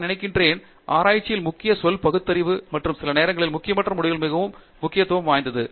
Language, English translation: Tamil, I think, the key word in research is perceptive and sometimes insignificant results can become very significant